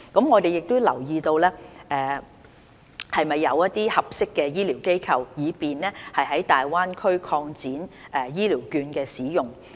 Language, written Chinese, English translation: Cantonese, 我們有留意是否有合適的醫療機構，以便在大灣區擴展醫療券的使用。, We have considered whether there are suitable medical institutions for extending the use of vouchers in the Greater Bay Area